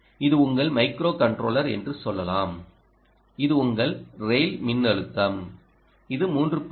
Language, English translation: Tamil, let's say: this is your microcontroller, this is your rail voltage